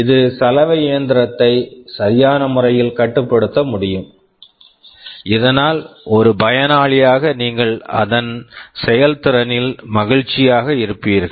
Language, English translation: Tamil, It should be able to control the washing machine in a proper way, so that as a user you would be happy with the performance